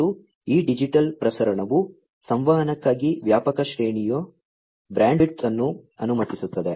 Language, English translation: Kannada, And, this digital transmission allows wide range of bandwidth for communication